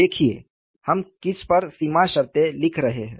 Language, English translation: Hindi, See, we are writing boundary condition on what